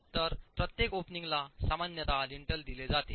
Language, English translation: Marathi, So every opening is typically provided with a lintel